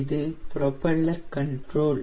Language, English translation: Tamil, so this is the propeller